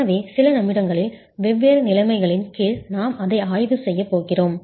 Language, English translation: Tamil, So we are going to be examining that under different conditions in a few minutes